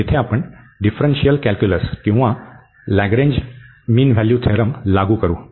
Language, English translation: Marathi, So, here we will apply the mean value theorem from differential calculus or the Lagrange mean value theorem